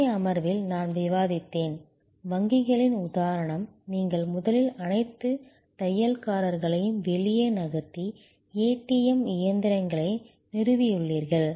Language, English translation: Tamil, I discussed in a previous session, the example of banks, you have originally moved all the tailors out and installed ATM machines